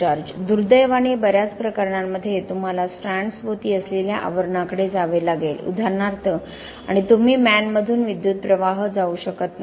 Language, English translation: Marathi, Yes Unfortunately in a lot of cases you will have to the sheath that surrounds the strands, for example and you cannot pass current through the sheath